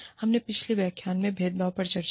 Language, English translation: Hindi, We discussed discrimination, in a previous lecture